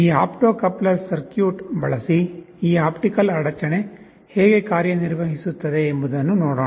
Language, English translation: Kannada, Let us see how this optical interruption works using this opto coupler circuit